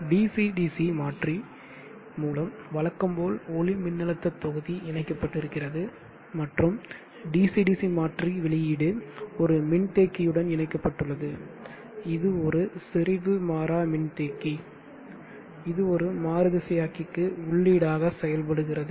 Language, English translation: Tamil, Let us have a look at that topology, we have the photovoltaic module as usual connected to a DC DC converter and the DC DC converter output is connected to a capacitor there is a buffer capacitance, and that acts as an input to the inverter